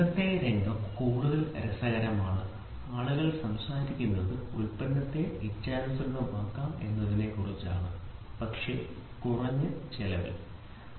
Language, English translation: Malayalam, Today’s scenario is much more interesting people are talking about let us make it let us make the product mass customized, but at an economical price